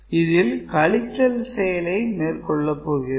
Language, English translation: Tamil, So, then again we perform the subtraction and see